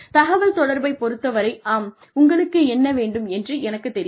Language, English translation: Tamil, Communication, yes I know, what you want